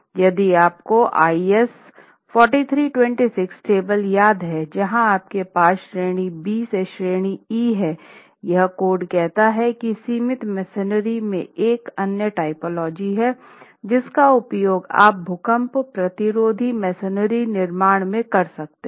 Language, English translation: Hindi, So, if you remember the IS 4 3 to 6 tables where you have category B to category E, this code is then saying that confined masonry is another typology that you can use to construct earthquake resistant masonry constructions